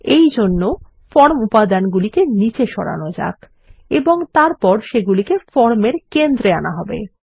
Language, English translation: Bengali, For this, let us push down the form elements and then centre them within the form